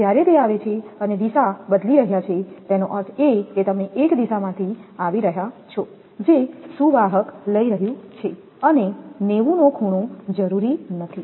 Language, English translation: Gujarati, When it is coming and taking changing the direction; that means that is you are coming from one direction that conductor taking and not necessarily be 90 degree